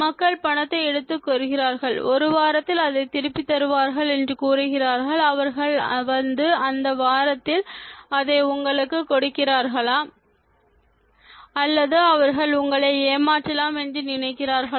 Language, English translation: Tamil, People take money, say that they will return it in a week do they come and give it to you in that week’s time or do they think that they can cheat you